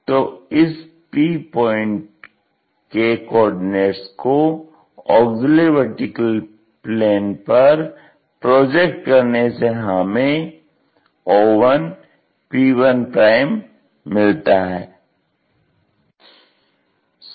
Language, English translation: Hindi, So, the coordinates of this P point which is projected onto auxiliary planar giving us o1 p1'